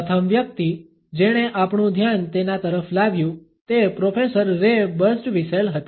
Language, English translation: Gujarati, The first person who brought our attention to it was Professor Ray Birsdwhistell